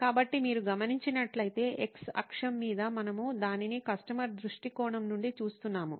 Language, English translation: Telugu, So, on the x axis if you notice, we are looking at it from the customer point of view